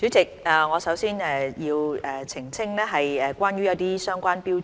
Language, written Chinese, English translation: Cantonese, 主席，我首先要澄清一些相關標準。, President I must first clarify some of the relevant standards concerned